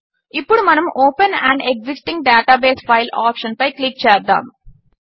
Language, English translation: Telugu, Let us now click on the open an existing database file option